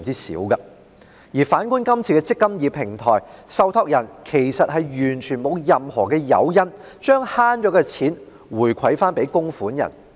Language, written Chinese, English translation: Cantonese, 反觀《條例草案》建議設立的"積金易"平台，受託人其實完全沒有任何誘因將節省到的金錢回饋供款人。, On the contrary under the eMPF Platform proposed to be established in the Bill there is completely no incentive for the trustees to return the money saved to the contributors